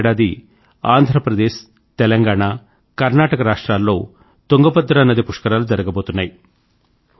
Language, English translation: Telugu, Next year it will be held in Telangana, Andhra Pradesh and Karnataka on the Tungabhadra river